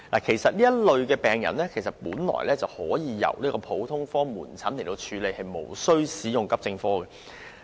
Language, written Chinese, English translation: Cantonese, 其實，這類病人本應前往普通科門診診所求診而無須使用急症室服務。, Actually patients falling under these categories are supposed to attend GOPCs instead of AE departments for medical consultation